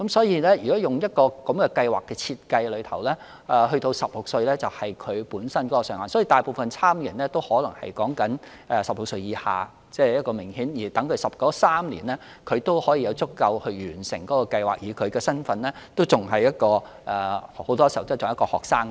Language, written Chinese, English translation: Cantonese, 因此，如果按照計劃的設計，年滿16歲便是上限，所以大部分參與者均是16歲以下，讓他們在計劃的3年期內有足夠時間完成計劃，而他們的身份很多時候仍然是學生。, Therefore according to the design of the programme the age cap is set at 16 years old such that most of the participants are aged under 16 to ensure that they would have sufficient time to complete the project within the three - year period and by then they are still students in most cases